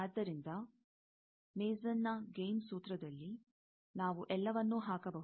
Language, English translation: Kannada, So, in Mason’s gain formula, we can put all that